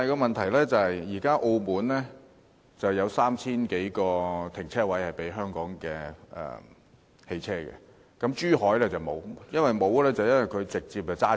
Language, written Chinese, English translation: Cantonese, 問題是現時澳門有3000多個停車位供香港的汽車使用，但珠海卻沒有，所以車輛可以直接駛走。, The problem is that at present while Macao has provided 3 000 - plus parking spaces for Hong Kong vehicles none is provided in Zhuhai and so vehicles have to leave immediately